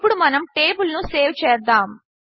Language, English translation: Telugu, Let us now save the table